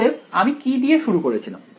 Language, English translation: Bengali, So what I started with here